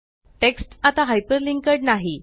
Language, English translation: Marathi, The the text is no longer hyperlinked